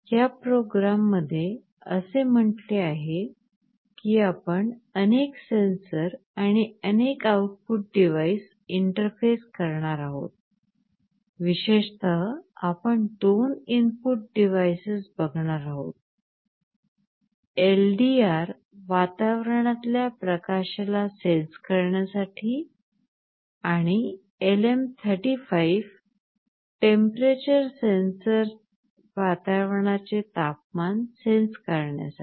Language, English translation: Marathi, In this experiment as it said we shall be interfacing multiple sensors and multiple output devices; specifically the input devices that we shall be looking at are LDR for sensing ambient light and a LM35 temperature sensor for sensing the temperature of the environment